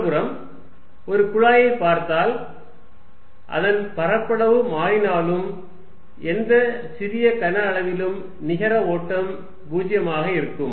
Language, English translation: Tamil, On the other hand, if you see a pipe although it is area may change, the net flow through any small volume is 0